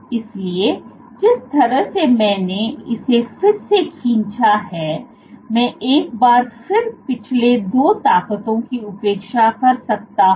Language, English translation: Hindi, So, the way I have drawn it again, once again I can disregard the last 2 forces